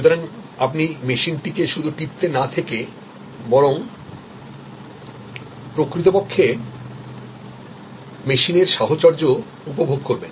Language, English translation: Bengali, So, that you do not start clicking the machine you rather actually enjoying the company on the machine